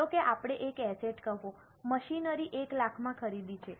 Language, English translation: Gujarati, Suppose we have purchased one asset, say machinery for 1 lakh